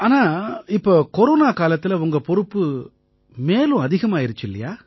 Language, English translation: Tamil, But during these Corona times, your responsibilities have increased a lot